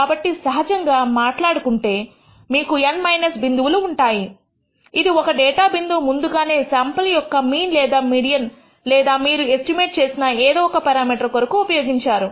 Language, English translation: Telugu, So, that is why we divide by N minus 1 to indicate that one data point has been used up to estimate the sample mean or the median whatever the parameter that you are actually estimated